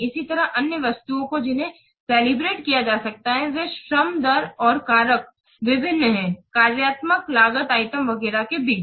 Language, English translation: Hindi, Similarly, the other items they can be calibrated are labor rates and factors, various relationships between the functional cost items, etc